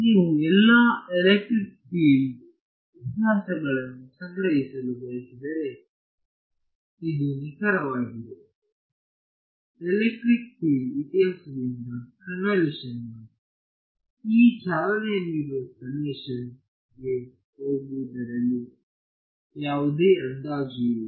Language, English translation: Kannada, So, this is as accurate as if you wanted to store all the electric field histories, there is no approximation made in going from electric field history from convolution to this running summation ok